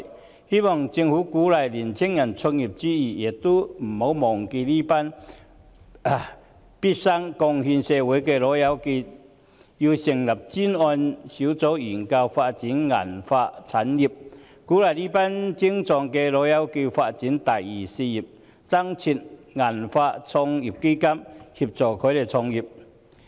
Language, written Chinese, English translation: Cantonese, 我希望政府鼓勵青年人創業之餘，也不要忘記這群畢生貢獻社會的"老友記"，應成立專責小組研究發展銀髮產業、鼓勵這群精壯的"老友記"發展"第二事業"，以及增設"銀髮創業基金"協助他們創業。, Apart from encouraging young people to start their own businesses I hope the Government will not forget these old pals who have contributed to society throughout their lives . The Government should set up a task force to study the development of silver hair industries encourage these energetic old pals to develop a second career and establish a silver hair business start - up fund to offer assistance to them in starting businesses